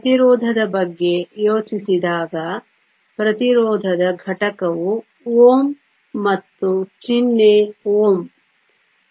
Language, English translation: Kannada, When we think of resistance the unit of resistance is ohm and the symbol is Omega